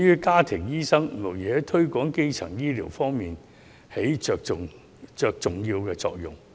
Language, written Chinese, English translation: Cantonese, 家庭醫生無疑在推廣基層醫療方面起重要的作用。, It is undeniable that family doctors are playing an important role in the promotion of primary healthcare